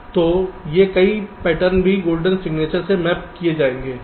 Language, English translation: Hindi, so these many patterns will also be mapping into the golden signature